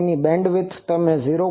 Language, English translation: Gujarati, Its bandwidth you see 0